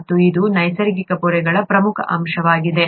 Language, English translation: Kannada, And this is an important constituent of natural membranes